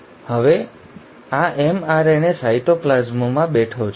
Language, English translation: Gujarati, And now this mRNA is sitting in the cytoplasm